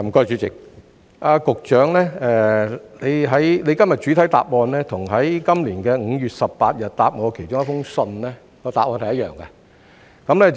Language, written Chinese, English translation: Cantonese, 主席，局長今天的主體答覆與他在今年5月18日回覆我的信件中的答案是一樣的。, President the Secretarys main reply today is the same as his reply on 18 May this year to my letter